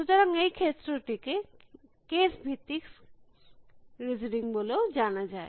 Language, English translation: Bengali, So, this area is also known as case base listening